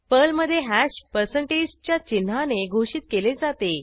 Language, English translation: Marathi, Hash in Perl is declared with percentage sign